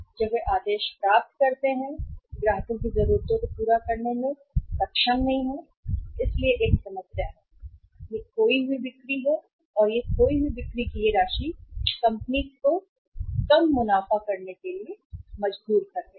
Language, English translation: Hindi, When they are receiving the orders they are not able to serve the client’s needs so there is a problem and this lost sales or this amount of the lost sales is forcing the company to lose the profits also